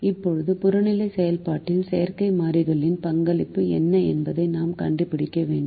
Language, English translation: Tamil, now we have to find out what is the contribution of the artificial variable in to the objective function